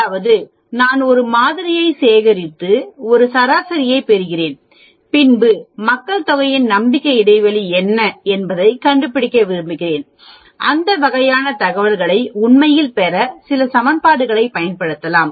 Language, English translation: Tamil, That means, I had mentioned before if I am collecting a sample and getting a mean and I want to find out what is the confidence interval on the population mean, I can use some equations to get that sort of information actually